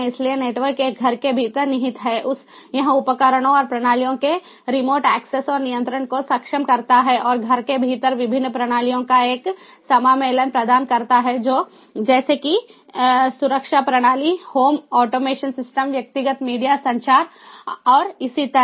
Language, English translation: Hindi, it enables the remote access and control of devices and systems and provides amalgamation of various systems with in a home, such as security system, home automation system, personal media communication and so on